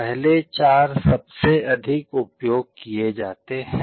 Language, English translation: Hindi, The first four are most commonly used